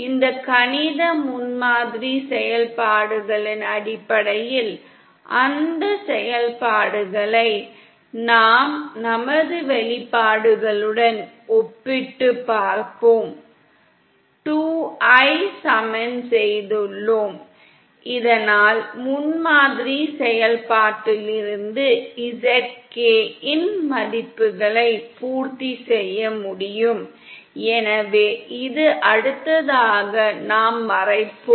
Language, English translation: Tamil, And based on these mathematical prototype functions we will be comparing those functions with our expressions that we have just derived & equating the 2 so that we can satisfy the values of the zk from the prototype function, so that is something we will cover in the next module